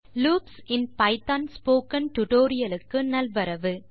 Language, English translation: Tamil, Hello Friends and Welcome to the tutorial on loops in Python